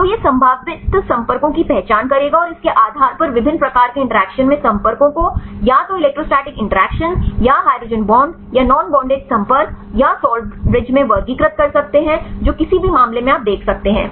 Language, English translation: Hindi, So, it will identify the probable contacts and based on that classify the contacts in different types of interactions either electrostatic interactions or the hydrogen bonds right or non bonded contacts or salt bridges right for any case you can see that fine